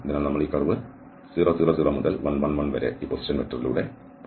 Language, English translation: Malayalam, So, we are, our curve goes from this 0, 0, 0 to 1, 1, 1 along this given position vector okay